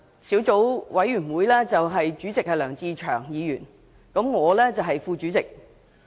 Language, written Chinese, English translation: Cantonese, 小組委員會主席是梁志祥議員，我是副主席。, Mr LEUNG Che - cheung is the Chairman of the Subcommittee and I am the Deputy Chairman